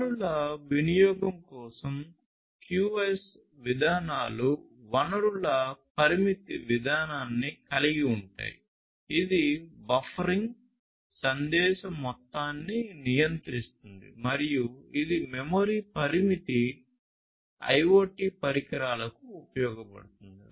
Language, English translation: Telugu, QoS policies for resource utilization include resource limit policy, which controls the amount of message buffering and this is useful for memory constraint IoT devices